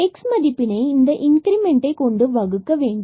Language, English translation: Tamil, So, the point here x is equal to 2 and these are the increment